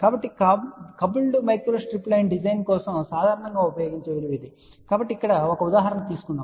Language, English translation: Telugu, So, this is the value which is generally use for designing the coupled micro strip line , so let just take a example now